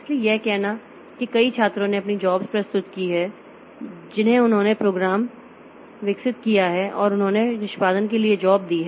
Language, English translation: Hindi, So, it is like say a number of students who have submitted their jobs, they are developed the program and they are given their jobs for execution